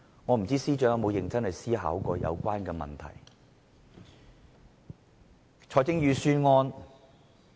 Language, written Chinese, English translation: Cantonese, 我不知道司長有否認真思考這個問題？, I wonder if the Financial Secretary has ever seriously consider this question